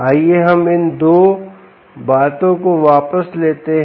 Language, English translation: Hindi, let us just put back these two things